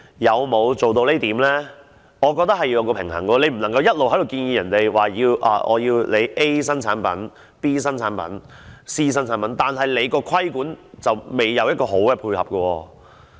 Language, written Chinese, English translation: Cantonese, 我認為必須作出平衡，你不能一面建議大家要接受 A 新產品、B 新產品、C 新產品，但你在規管上卻沒有好好配合。, I consider that a balance should be struck . You should not ask people to accept new products A B and C on the one hand and you have not put in place a regulatory regime to support them on the other